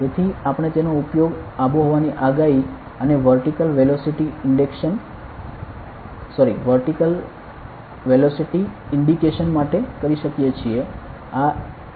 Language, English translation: Gujarati, So, we can use it for weather forecast and vertical velocity indication